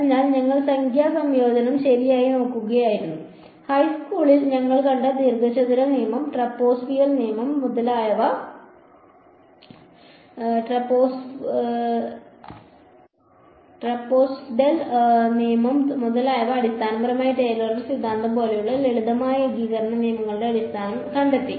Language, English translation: Malayalam, So, we were looking at numerical integration right and we found out the basis of the simple integration rules that we came across in high school like the rectangle rule, trapezoidal rule etcetera it was basically Taylor’s theorem